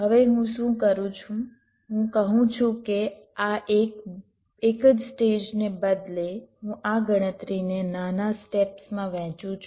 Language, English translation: Gujarati, now what i do, what i say, is that instead of this single stage, i divide this computation into smaller steps